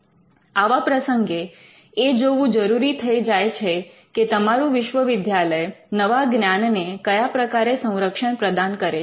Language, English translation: Gujarati, So, in such cases you may have to look at how your institution can protect new knowledge